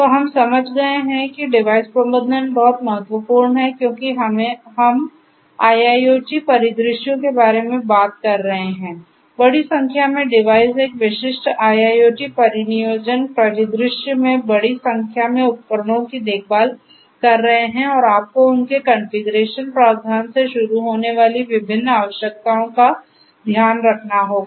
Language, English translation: Hindi, So, we have understood that device management is very important because we are talking about in IIoT scenarios large number of devices taking care of large number of devices in a typical IIoT deployment scenario and you have to take care of different different requirements starting from their configuration provisioning faults security and so on and so forth